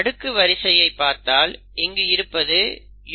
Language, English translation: Tamil, So if you look at the sequence this is UCC